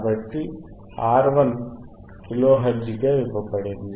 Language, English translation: Telugu, So, what is given V RR is given as 1 kilohertz